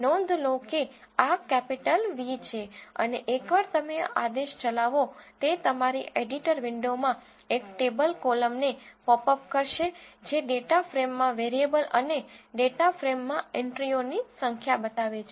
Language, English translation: Gujarati, Notice this is capital V and once you run this command it will pop up a tabular column in your editor window which shows the variables in the data frame and the number of entries in the data frame